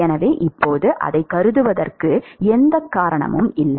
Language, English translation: Tamil, So now, there is no reason to assume that